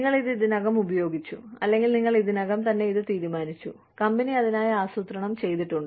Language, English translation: Malayalam, You have already used it, or, you have already decided it, and the company is planned for it